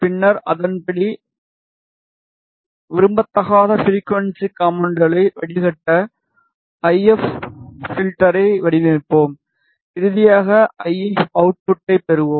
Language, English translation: Tamil, And then accordingly we will design the if filter to filter out the undesired frequency components and finally, we will get the if output